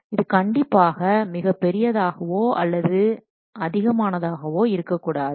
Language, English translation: Tamil, It should not be either too big or too large